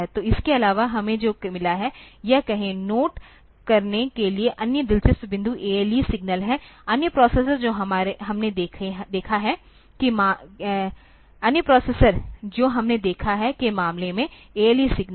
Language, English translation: Hindi, So, apart from that we have got, say this, other interesting point to note is the ALE signal is there, ALE signal in case of other processors that we have seen